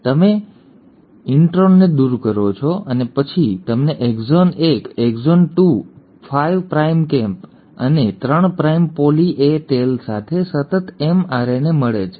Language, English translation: Gujarati, You cut it and you remove the intron out, and then you get a continuous mRNA, with exon 1, exon 2, 5 prime cap and a 3 prime poly A tail